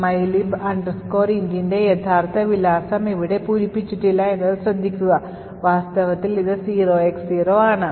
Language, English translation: Malayalam, Notice that the actual address of mylib int is not filled in over here in fact it is just left is 0X0